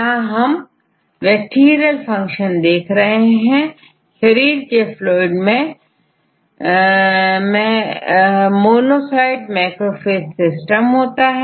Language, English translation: Hindi, So, here the tissues in body fluids are associated with the monocyte macrophage system